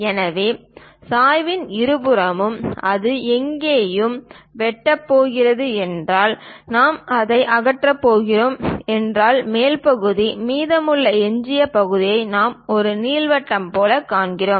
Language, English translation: Tamil, So, on both sides of the slant, if it is going to intersect here and here; then the top portion if we are going to remove it, the remaining leftover portion we see it like an ellipse